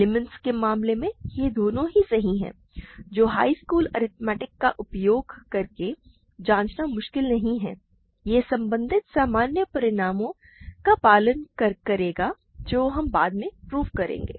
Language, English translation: Hindi, In the case of integers, they both agree, which is not difficult to check using high school arithmetic and elsewhere it will follow from our general results that we will prove later